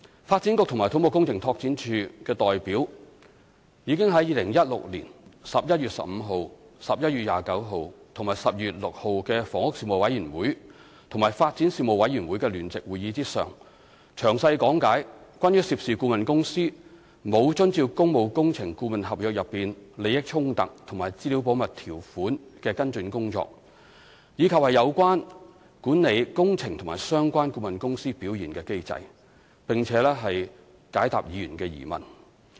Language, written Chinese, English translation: Cantonese, 發展局及土木工程拓展署的代表已於2016年11月15日、11月29日及12月6日的房屋事務委員會與發展事務委員會的聯席會議上，詳細講解關於涉事顧問公司沒有遵照工務工程顧問合約內利益衝突和資料保密條款的跟進工作，以及有關管理工程及相關顧問公司表現的機制，並解答議員的疑問。, At the joint meetings of the Panel on Housing and Panel on Development of the Legislative Council on 15 November 2016 29 November and 6 December representatives from the Development Bureau and CEDD illustrated in detail the follow - up work regarding the non - compliance of the conflict of interest and confidentiality provisions in the consultancy agreement by the consultant involved as well as the mechanism for managing works and performance of the related consultants; and they also responded to members questions